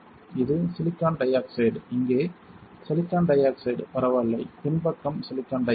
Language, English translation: Tamil, This is silicon dioxide; silicon dioxide here alright and silicon dioxide on the back side